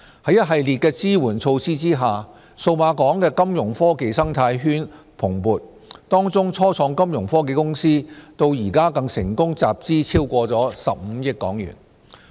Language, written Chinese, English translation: Cantonese, 在一系列的支援措施下，數碼港的金融科技生態圈蓬勃，當中初創金融科技公司至今更成功集資超過15億港元。, Thanks to these facilitation measures the Fintech community in Cyberport has become vibrant and the Fintech start - ups there have so far raised more than 1.5 billion